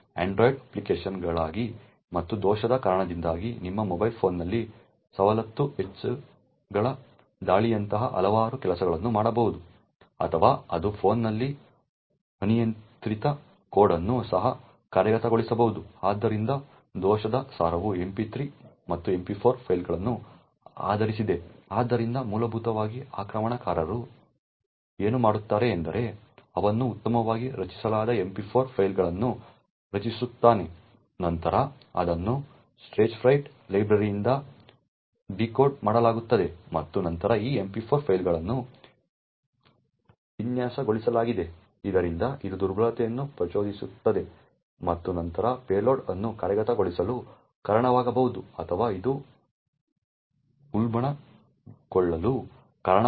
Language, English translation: Kannada, So, the Stagefright software is essentially a software implemented in C++ for android applications and because of the bug could actually do several things such as it could cause like privilege escalation attacks on your mobile phone or it could also execute arbitrary code on the phone, so the essence of the bug is based on MP3 and MP4 files, so essentially what the attacker does is he creates well crafted MP4 files which is then decoded by the Stagefright library and then these MP4 files are designed so that it could trigger the vulnerability and then cause the payload to executed or it could cause escalation of privileges